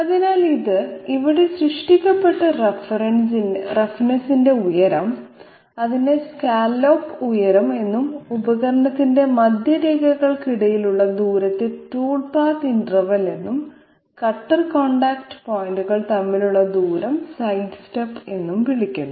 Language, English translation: Malayalam, So this the height of the roughness which is created here it is called scallop height and the distance between the centre lines of the tool, they are called this is called tool path interval and the distance between the cutter contact points is called the side step